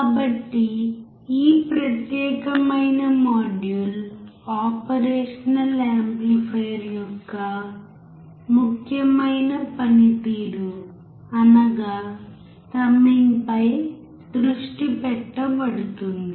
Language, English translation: Telugu, So, this particular module is focused on important function of an operational amplifier and that is summing